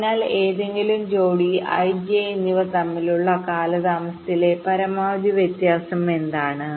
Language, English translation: Malayalam, so what is the maximum difference in the delays between any pair of i and j